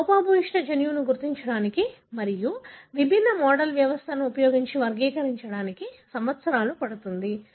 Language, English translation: Telugu, It takes years to identify that defective gene and to characterize using different model systems